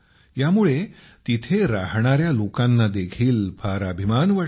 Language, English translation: Marathi, This also gives a feeling of great pride to the people living there